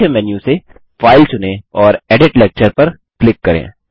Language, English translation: Hindi, From the Main menu, select File, and click Edit Lecture